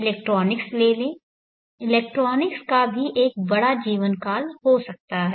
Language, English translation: Hindi, Take the electronics, electronics may also have a large life span